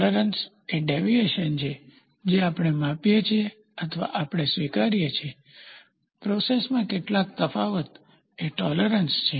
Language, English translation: Gujarati, Tolerance is the deviation which we give or we accept, some variation in the process is tolerance